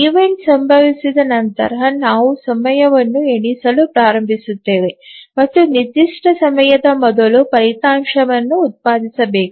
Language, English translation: Kannada, So once an event occurs, then we start counting the time and we say that before certain time the result must be produced